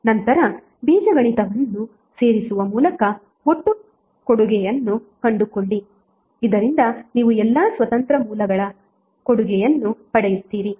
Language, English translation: Kannada, Then find the total contribution by adding them algebraically so that you get the contribution of all the independent sources